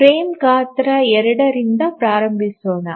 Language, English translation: Kannada, Let's start with the frame size 2